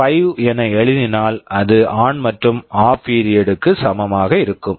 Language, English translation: Tamil, 5, it will be equal ON and OFF period